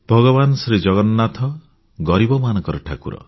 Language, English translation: Odia, Lord Jagannath is the God of the poor